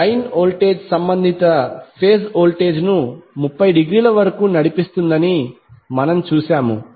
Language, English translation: Telugu, We saw that the line voltage leads the corresponding phase voltage by 30 degree